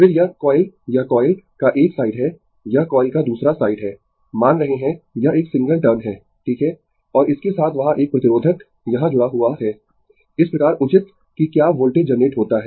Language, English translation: Hindi, Then, this coil this is one side of the coil, this is other side of the coil assuming it is a single turn, right and with that one there is one resistor is connected here such that proper whether voltage is generated